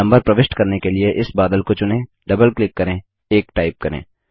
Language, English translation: Hindi, To insert the numbers, lets select this cloud, double click and type 1